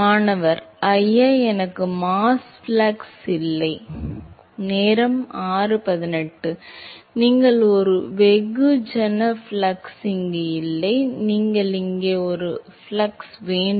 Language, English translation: Tamil, Sir, I do not have mass flux You will have a mass flux not here; you will have a mass flux here